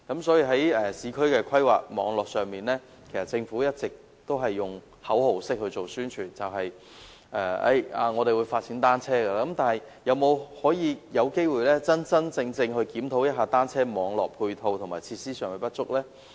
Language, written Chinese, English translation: Cantonese, 在市區規劃上，政府一直只是作口號式的宣傳，說會發展單車，但是否有機會真正檢討單車網絡配套和設施上的不足呢？, In respect of urban planning the Government has only carried out publicity with slogans being chanted vowing to take forward the development of cycling . But is there a chance to really review the adequacy of the matching support and facilities for cycle track networks?